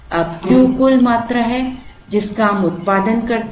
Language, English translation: Hindi, Now, Q is the total quantity that we produce